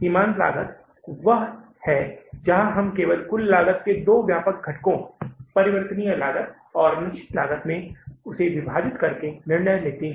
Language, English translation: Hindi, Margin costing is the one where we only take the decisions by dividing the total cost into the two broad components, variable cost and the fixed cost